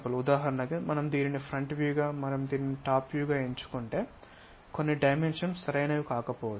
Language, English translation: Telugu, For example, if we are going to pick this one as the front view and this one as the top view, some of the dimensions might not be appropriate